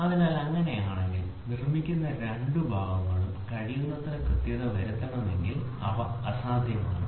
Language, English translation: Malayalam, So, if that is the case then any two parts produced if you want to make it as accurate as possible they it is next to impossible